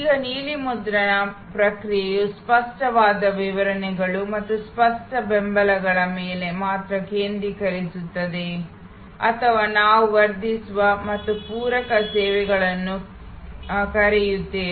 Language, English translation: Kannada, Now, the blue print process only focuses on explicit deliveries and explicit supports or what we call enhancing and supplement services